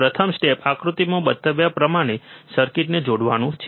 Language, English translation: Gujarati, First step is connect the circuit as shown in figure